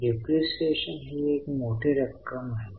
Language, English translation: Marathi, Depreciation is a substantial amount